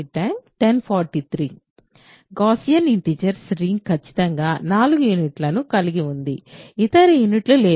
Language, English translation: Telugu, The ring of Gaussian integers has exactly 4 units there are no other units